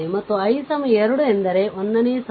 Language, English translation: Kannada, And i is equal to 2 means ah ith row